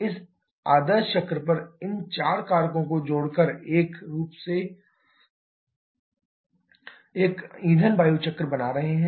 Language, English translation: Hindi, These are the four cycles you are going to add on the ideal cycles to get the fuel air cycle